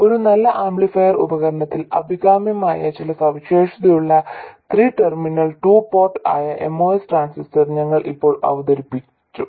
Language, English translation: Malayalam, We have just introduced the MOS transistor which is a 3 terminal 2 port which has some of the characteristics desirable in a good amplifier device